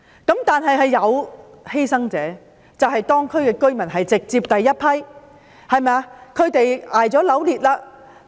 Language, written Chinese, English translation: Cantonese, 不過，當中亦有一些犧牲者，當區居民就是直接的犧牲者。, However there would also be some victims in this incident . The residents in the district are the victims directly affected